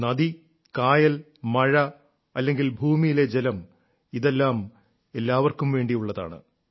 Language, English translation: Malayalam, River, lake, pond or ground water all of these are for everyone